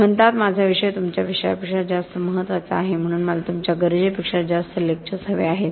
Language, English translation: Marathi, They say my subject is much more important than your subject, so I need more lectures than you need